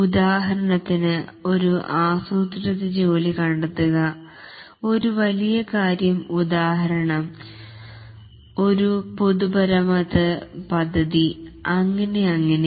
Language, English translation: Malayalam, For example, find a planned undertaking, a large undertaking, for example, a public works scheme and so on